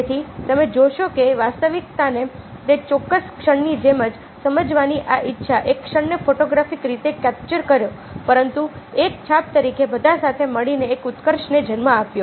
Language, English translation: Gujarati, so you see that this desire to graphs the reality as it is at that particular movement, to capture a movement in a photographic way but as an impression ah gave rise to any movement all you get